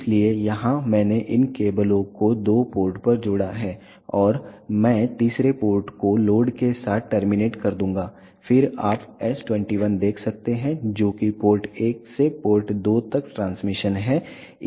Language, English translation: Hindi, So, here I have connected this cables at the two ports and I will terminate the third port with load, then you can see s 21 that is the transmission from port 1 to port 2